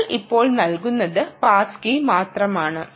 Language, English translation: Malayalam, only what we give now is the pass key